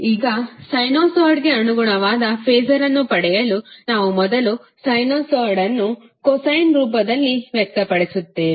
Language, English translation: Kannada, Now, to get the phaser corresponding to sinusoid, what we do, we first express the sinusoid in the form of cosine form